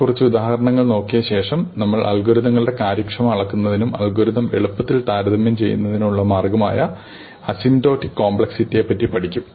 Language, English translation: Malayalam, So, after looking at a few examples we will start with asymptotic complexity, which is the way of measuring the efficiency of an algorithm and writing down this measure in a way that we can compare easily across algorithms